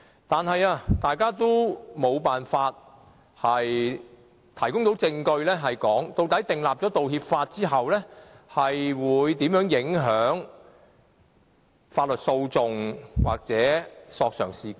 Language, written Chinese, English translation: Cantonese, 但是，大家都無法提供證據，說明制定《道歉條例》後會如何影響法律訴訟或索償事件。, But none of them could provide the evidence to prove how apology legislation will affect lawsuits or claims after its introduction